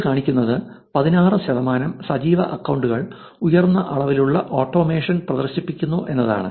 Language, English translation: Malayalam, So, what it shows is that 16 percent of active accounts exhibit a high degree of automation